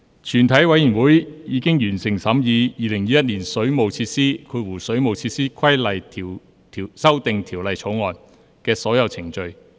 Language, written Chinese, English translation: Cantonese, 全體委員會已完成審議《2021年水務設施條例草案》的所有程序。, All the proceedings on the Waterworks Amendment Bill 2021 have been concluded in committee of the whole Council